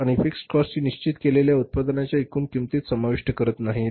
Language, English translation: Marathi, They don't include into that total costing of the product the fixed cost